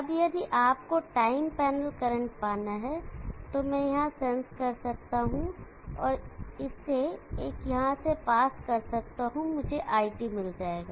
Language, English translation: Hindi, Now if you have to get the time panel current, I can sense here and pass it through an average and I will get IT